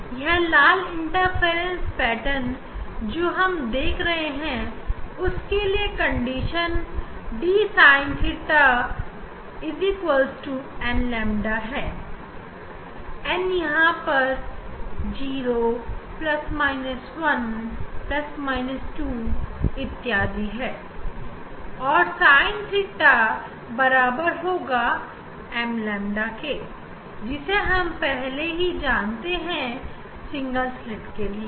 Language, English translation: Hindi, here red this interference pattern we are seeing for that the condition d sin theta equal to n lambda, n equal to 0 plus minus 1 plus minus 2 etcetera and a sin theta equal to m lambda already we are familiar from the single slit